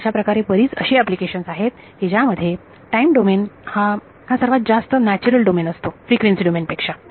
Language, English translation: Marathi, So, as it turns out the number of applications where time domain is the more natural domain is actually more than frequency domain